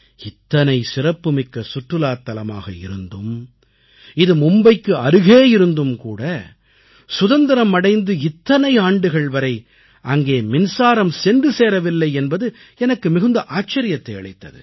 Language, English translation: Tamil, I was surprised to know that despite being such a prominent center of tourism its close proximity from Mumbai, electricity hadn't reached Elephanta after so many years of independence